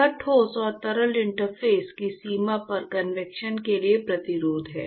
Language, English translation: Hindi, It is the resistance for convection at the boundary of the solid and liquid interface